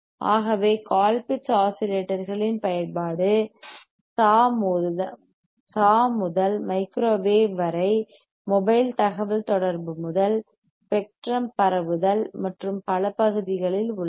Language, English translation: Tamil, So, the application of Colpitt’s oscillators are in several areas several area, from sawSAW to microwave to mobile communication to spectrum spreading and so, on and so, forth